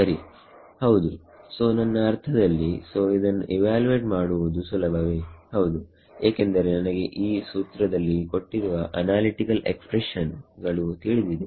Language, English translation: Kannada, Correct yeah so what will I mean, so we can is this easy to evaluate this is very easy to evaluate because I know the analytical expressions as given from this formula